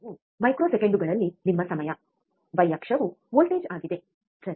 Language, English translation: Kannada, There is a x axis is your time in microseconds, y axis is voltage, right